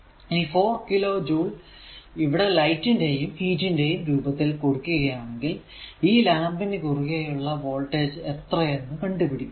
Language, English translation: Malayalam, If 4 kilo joule is given off in the form of light and heat energy determine the voltage drop across the lamp